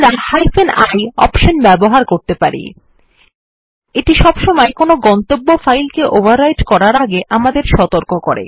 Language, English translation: Bengali, We can also use the ioption, this always warns us before overwriting any destination file